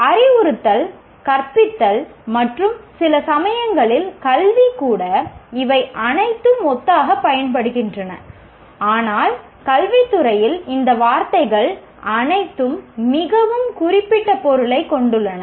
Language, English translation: Tamil, While the instruction teaching and sometimes even education, these are all used synonymously, but in the field of education, all these words have very specific meaning